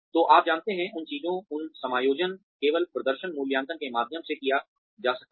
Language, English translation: Hindi, So, you know, those things, those adjustments, can only be done through performance appraisals